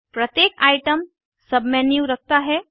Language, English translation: Hindi, Each item has a Submenu